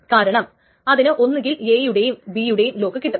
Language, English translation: Malayalam, And it will have a lock on A and B but not on C